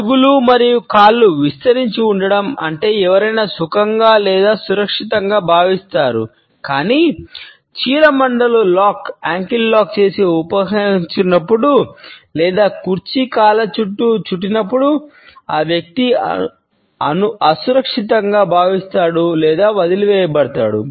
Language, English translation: Telugu, Feet and legs outstretched means that someone feels comfortable or secure, but when ankles lock and withdraw or even wrap around the legs of the chair that person feels insecure or left out